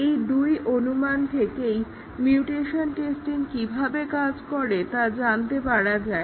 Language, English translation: Bengali, There are actually two hypothesis which leads to the success of the mutation testing